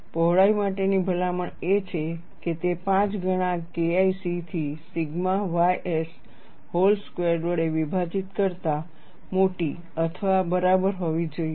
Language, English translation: Gujarati, The recommendation for the width is, it should be greater than or equal to 5 times K 1 C divided by sigma y s whole squared